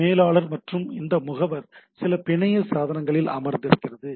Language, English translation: Tamil, So, the manager this agent is sitting in some network devices